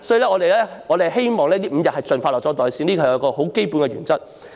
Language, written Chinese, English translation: Cantonese, 因此，我們希望5天侍產假能夠盡快"落袋"，這是最基本的原則。, Therefore we hope that wage earners can expeditiously pocket five days paternity leave . This is the fundamental principle